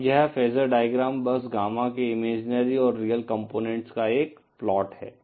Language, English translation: Hindi, Now this phasor diagram is simply a plot of the imaginary and real components of Gamma